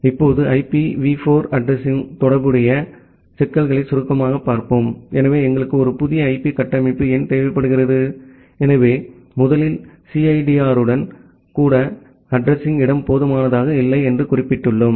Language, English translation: Tamil, Now, let us look into brief the problems which are associated with the IPv4 addressing; so why do we need a new IP structure, so, first of all as we have mentioned that the address space is not sufficient even with CIDR